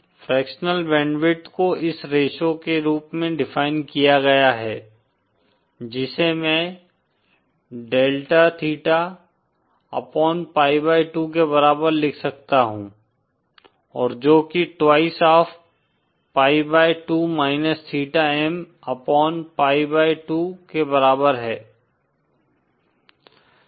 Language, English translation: Hindi, Fractional band width is defined as this ratio, which I can also write as equal to delta theta upon pi by 2 and that is equal to twice of pi by 2 minus theta M upon pi by 2